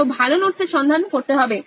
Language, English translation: Bengali, Looking for better notes